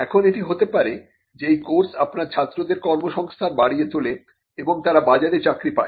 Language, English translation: Bengali, Now, that could come as something that enhances the employability of your students and for them to get a job in the market